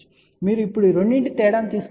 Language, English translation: Telugu, So, if you now take the difference of these two that 40 6 db